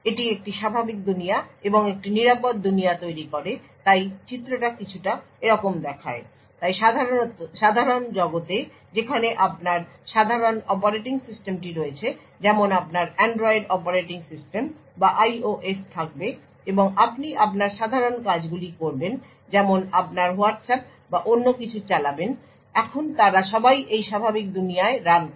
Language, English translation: Bengali, It creates a normal world and a secure world so the figure looks something like this so in the normal world is where you would have your typical operating system like your Android operating system or IOS and you would be running your typical tasks like your Whatsapp or anything else so all of them run in this normal world